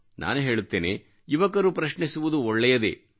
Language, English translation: Kannada, I say it is good that the youth ask questions